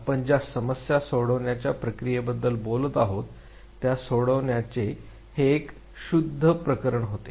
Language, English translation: Marathi, It was again a pure case of problem solving that we have been talking about